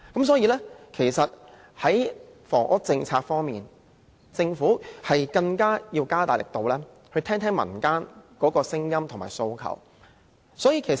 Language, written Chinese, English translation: Cantonese, 所以，在房屋政策方面，政府應更積極聆聽民間的聲音和訴求。, Therefore in terms of housing policy the Government should more actively listen to the people and their aspirations